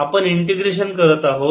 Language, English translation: Marathi, we are doing in the integration